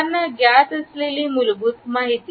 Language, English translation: Marathi, The basic information that is accessible to anyone